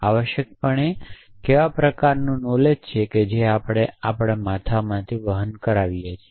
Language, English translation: Gujarati, Essentially what is the kind of knowledge that we carry in our heads